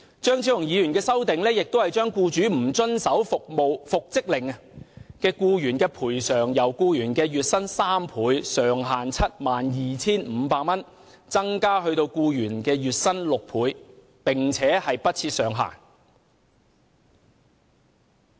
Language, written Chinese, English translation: Cantonese, 張超雄議員的修正案亦將僱主不遵守復職令的僱員賠償，由僱員月薪的3倍，上限 72,500 元，增至僱員月薪的6倍，並不設上限。, Also Dr Fernando CHEUNGs amendments seek to increase the amount of compensation to be paid to the employee in the event of the employers failure to comply with the order for reinstatement from three times the employees average monthly wages to be capped at 72,500 to six times the employees average monthly wages with no cap